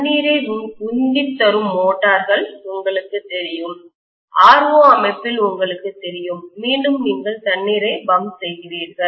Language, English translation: Tamil, Then we have basically you know the motors which are used in pumping water, you have you know in RO system, again you pump water